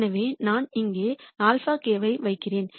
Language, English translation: Tamil, So, let me put alpha k here